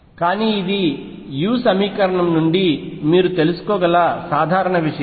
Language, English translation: Telugu, But this is general thing that you can find out from a u equation